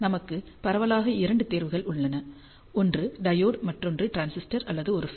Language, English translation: Tamil, We have broadly two choices one is diode, another one is a transistor or a FET